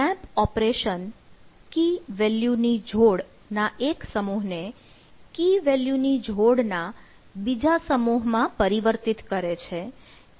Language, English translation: Gujarati, map operation consists of transforming one set of value key value pair to another set of key value pair